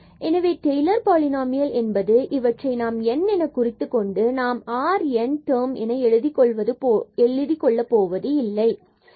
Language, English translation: Tamil, So, that is the Taylor’s polynomial if we fix this n and do not write this r n term